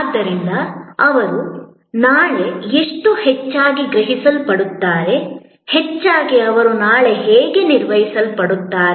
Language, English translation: Kannada, And therefore, how most likely they will be likely perceived tomorrow, most likely they will be manage tomorrow